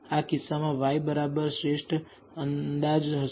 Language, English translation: Gujarati, In this case of course, y bar will be the best estimate